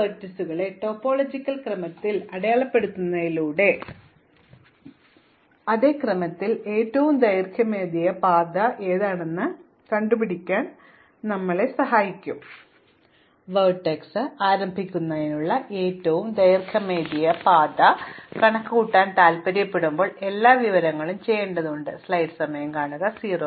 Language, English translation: Malayalam, So, by sorting these vertices in topological order, I can then compute the longest path in the same order with the guarantee that when I want to compute the longest path to a given vertex, I have all the information available need to do that namely all the longest paths for its incoming neighbours